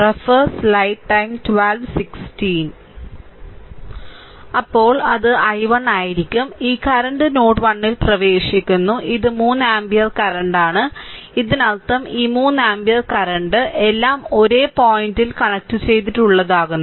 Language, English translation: Malayalam, So, this is actually node 1 this current is your i 2, this current is your i 3 and this 3 ampere current is this thing, right